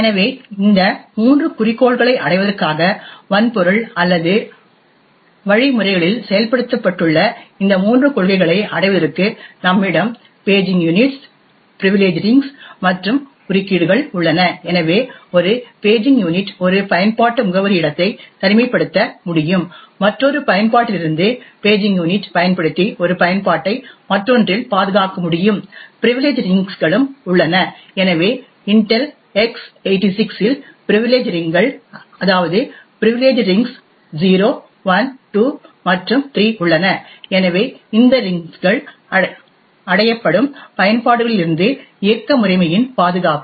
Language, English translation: Tamil, So in order to achieve this three objectives, so in order to achieve this three policies what is implemented in hardware or the mechanisms, so we have paging units, privilege rings and interrupts, so the paging unit would be able to isolate one application address space from another application thus using the paging unit we would be able to protect one application on the other, there is also the privilege rings, so privilege rings in Intel x86 there are privilege rings 0, 1, 2 and 3, so these rings would achieve protection of the operating system from applications